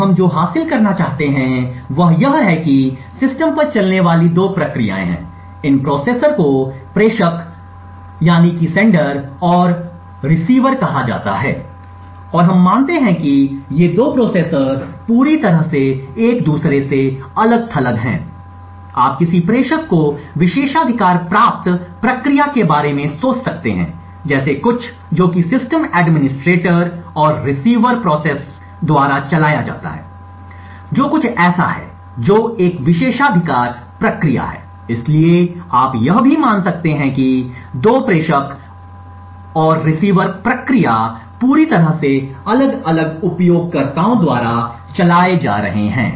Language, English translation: Hindi, So what we want to achieve is that we have 2 processes running on the system these processors are called sender and receiver and we assume that these 2 processors are completely isolated from each other, you could think of a sender to be a privileged process something like which is run by the system administrator and the receiver process to be something which is an privilege process, so you can also assume that these 2 sender and receiver processes are run by totally different users